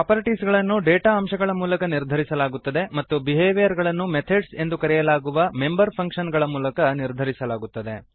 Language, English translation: Kannada, Properties are defined through data elements and Behavior is defined through member functions called methods